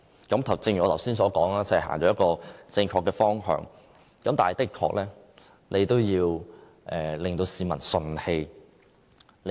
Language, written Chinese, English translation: Cantonese, 正如我剛才所說，這是朝正確的方向走，但也要令市民順氣。, As I have just said this policy is going in the right direction . Yet we have to make the public feel comfortable with the levying